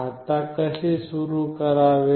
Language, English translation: Marathi, Now, how to start